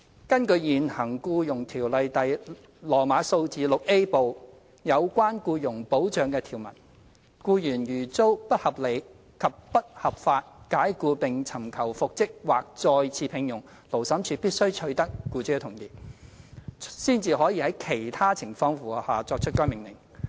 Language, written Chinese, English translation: Cantonese, 根據現行《僱傭條例》第 VIA 部有關僱傭保障的條文，僱員如遭不合理及不合法解僱並尋求復職或再次聘用，勞審處必須取得僱主的同意，才可在其他情況符合下，作出該命令。, According to the current provisions on employment protection of Part VIA of the Ordinance if an employee has been unreasonably and unlawfully dismissed and claims for reinstatement or re - engagement the Labour Tribunal can only make such an order if consent of the employer has been secured and other conditions have been met